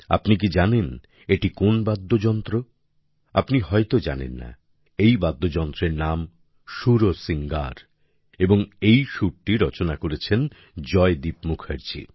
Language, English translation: Bengali, The name of this musical instrumental mantra is 'Sursingar' and this tune has been composed by Joydeep Mukherjee